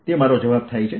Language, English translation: Gujarati, that's my answer